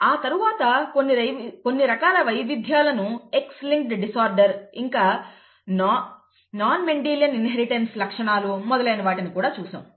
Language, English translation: Telugu, After that we saw some variations such as X linked inheritance of disorders and the non Mendelian inheritance characteristics, very many different kinds of those, okay